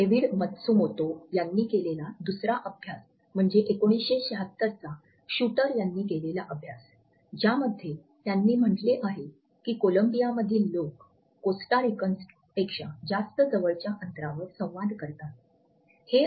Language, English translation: Marathi, Another study which David Matsumoto has quoted is the 1976 study by Shuter in which he had said that Colombians interacted at closer distances than Costa Ricans